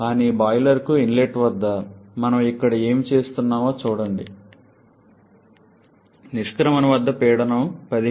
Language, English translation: Telugu, But look what we are having here at the inlet to the boiler the pressure is 15